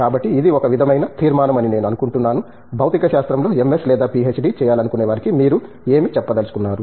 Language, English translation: Telugu, So, I think it maybe sort of to conclude, what are your words of you know advice to somebody who is aspiring to do an MS or a PhD degree in physics